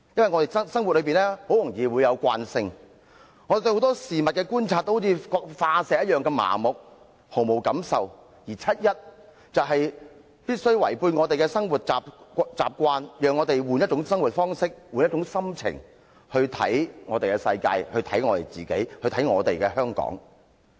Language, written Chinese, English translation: Cantonese, 我們在生活中，很容易產生慣性，對很多事物的觀察都好像化石般麻木，毫無感受，而七一遊行讓我們改變生活習慣，讓我們換一種生活方式，換一種心情來看我們的世界，看我們自己，看我們的香港。, As we easily succumb to inertia in our daily lives we become apathetic and insensitive about many things the 1 July march enables us to change our living habits adopt another lifestyle and see our world ourselves and our Hong Kong in a different mood